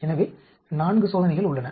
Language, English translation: Tamil, So, there are 4 experiments